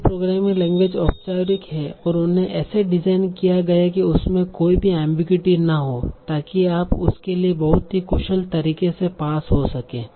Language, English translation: Hindi, So all the programming languages are formal and they are designed to be unambiguous so that you can have very very efficient parsing for them